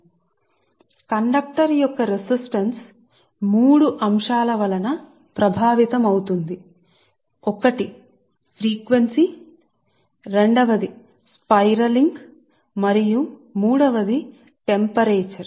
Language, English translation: Telugu, so the conductor resistance is affected by three factors: one is the frequency, second is the spiralling and third is the temperature